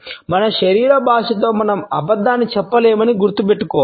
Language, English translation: Telugu, We have to remember that with our body language we cannot lie